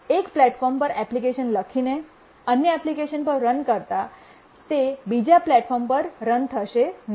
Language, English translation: Gujarati, If you run an application, you write an application on one platform, it will not run on another platform